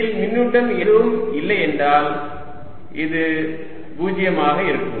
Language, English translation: Tamil, if there is no charge in between, then this is going to be a zero